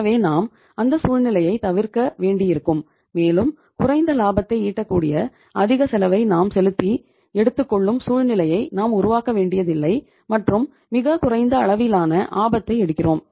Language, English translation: Tamil, So we will have to avoid that situation and we will have not to create a situation where we are either paying the higher cost earning lesser profits and taking very low level of the risk